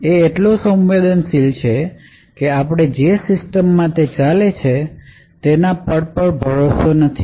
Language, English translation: Gujarati, It is So, sensitive that we do not even trust the system that it is running on